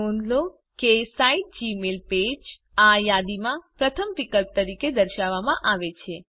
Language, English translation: Gujarati, Notice that the site mygmailpage is displayed as the first option on the list